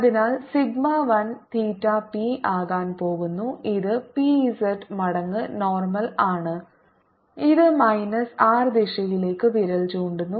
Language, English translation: Malayalam, so sigma one theta is going to be p, which is p z times normal, which is pointing in the minus r direction